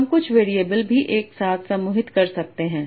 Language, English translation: Hindi, We can also group some variables together